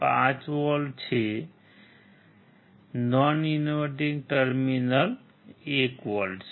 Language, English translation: Gujarati, 5 volts non inverting terminal is 1 volt